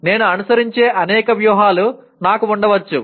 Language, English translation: Telugu, I may have several strategies that I follow